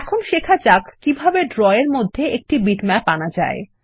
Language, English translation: Bengali, Now lets learn how to import a bitmap into Draw